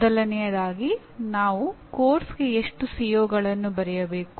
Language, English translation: Kannada, First thing is how many COs should we write for a course